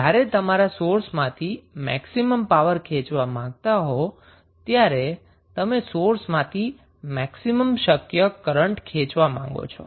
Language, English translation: Gujarati, So, when you want to draw maximum power from the source means, you want to draw maximum possible current from the source how it will be achieved